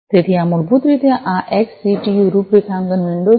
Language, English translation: Gujarati, So, this is basically this XCTU configuration window